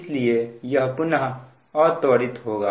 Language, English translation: Hindi, that again, it will decelerate